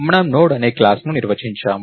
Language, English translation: Telugu, We define a class called Node